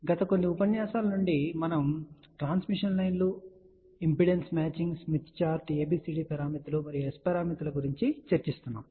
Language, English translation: Telugu, Hello, in the last few lectures we have been talking about transmission lines impedance matching smith chart ABCD parameters and S parameters